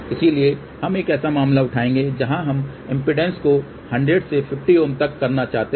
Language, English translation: Hindi, So, we will take a case where we want to do impedance matching from 100 Ohm to 50 Ohm